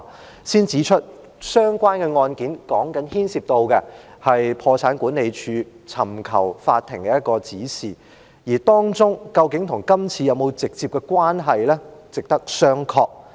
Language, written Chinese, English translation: Cantonese, 我先指出，相關案件牽涉到破產管理署尋求法庭指示的個案，而當中究竟與今次是否有直接關係呢？值得商榷。, I would like to first point out that as the said case involved the Official Receivers Office seeking directions from the Court it is debatable whether or not there is any direct relationship with the current case